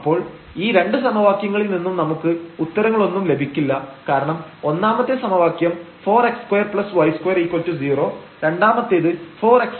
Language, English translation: Malayalam, So, we cannot get any solution out of these 2 equations because first equation says 4 x square plus y square is equal to 4 while the second says that 4 x square plus y square will be 1 by 4